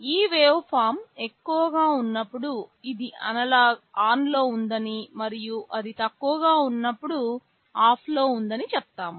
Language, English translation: Telugu, Like when this waveform is high we say it is ON and when it is low we say it is OFF